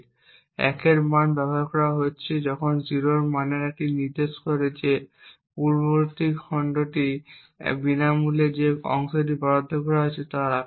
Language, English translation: Bengali, A value of 1 is in use while a value of 0 over here indicates that the previous chunk is free, the size of the chunk that has been allocated